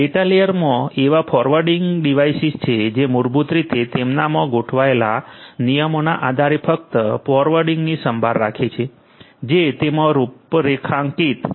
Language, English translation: Gujarati, There are forwarding devices in the data layer which basically takes care of mere forwarding based on the rules that are basically implemented in them that are configured in them